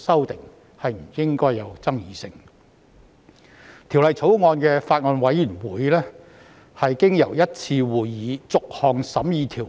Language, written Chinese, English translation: Cantonese, 《2019年成文法條例草案》委員會經由1次會議逐項審議條文。, The Bills Committee on the Statute Law Bill 2019 has held one meeting to examine the clauses one by one